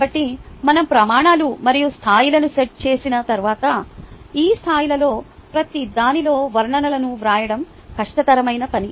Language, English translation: Telugu, so once we have set the criterias and the levels, the hardest bid is actually to write the descriptions in each of these levels